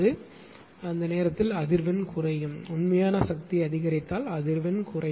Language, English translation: Tamil, So, at that time frequency will fall if real power increases frequency will fall